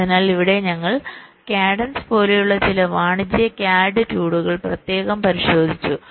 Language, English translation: Malayalam, so here we have specifically looked at some of the commercial cad tools